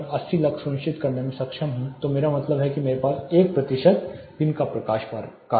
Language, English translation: Hindi, If I am able to ensure say 80 lux which means I have 1 percent daylight factor this is as simple as that